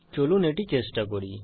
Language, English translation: Bengali, Let us try it